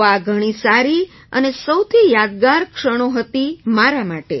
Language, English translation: Gujarati, So it was perfect and most memorable moment for me